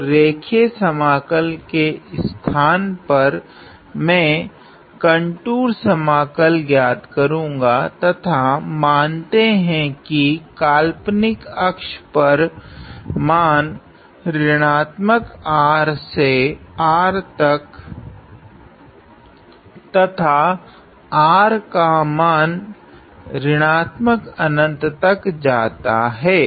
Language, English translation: Hindi, So, instead of this line integral now I am going to evaluate this contour integral and let us say my values over the imaginary axis is from minus R to R and R goes to infinity; so this goes to minus infinity